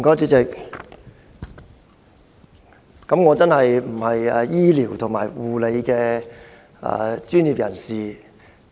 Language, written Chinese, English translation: Cantonese, 主席，我並非醫療或護理專業人員。, President I am neither a medical practitioner nor a healthcare professional